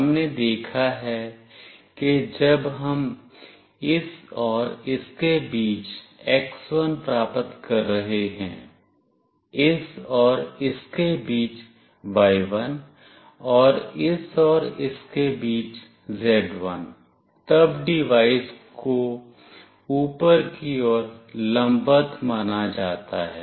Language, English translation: Hindi, We have seen that when we are getting x1 between this and this, y1 between this and this, and z1 between this and this, then the devices is consider to be vertically up